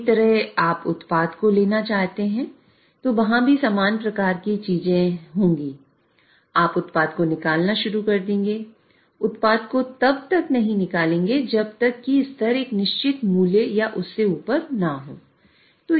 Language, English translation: Hindi, Similarly, if you want to withdraw product, a similar thing would be there, you will start withdrawing the product, will remove, withdraw the product unless the level is above a certain value or so